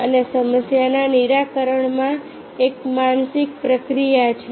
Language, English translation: Gujarati, and in problem solving there is a mental process